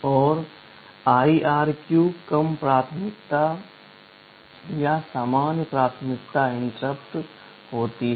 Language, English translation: Hindi, And IRQ is the low priority or the normal priority interrupts